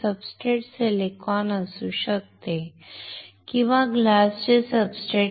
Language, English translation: Marathi, The substrate can be silicon or it can be glass substrate